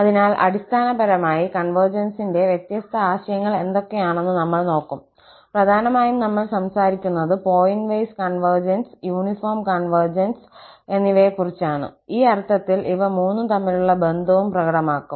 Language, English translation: Malayalam, So, we will cover basically what are the different notions of convergence and mainly, we will be talking about the pointwise conversions, uniform convergence and convergence in the sense of mean square and the connection between all the three will be also demonstrated